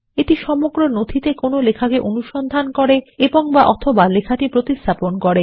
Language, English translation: Bengali, It searches for text and/or replaces text in the entire document